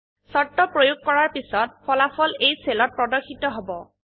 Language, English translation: Assamese, The conditions result will be applied and displayed in this cell